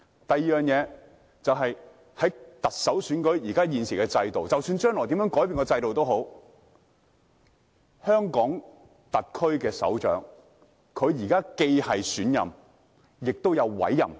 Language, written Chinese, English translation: Cantonese, 第二點，在現時特首選舉的制度下，即使將來制度有任何改變，但香港特區首長都同時是選任，也是委任的。, The second point is under the existing system of the Chief Executive election regardless of whether there is any change in the system in the future the head of the HKSAR is both elected and appointed